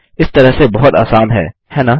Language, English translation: Hindi, It is much easier this way, isnt it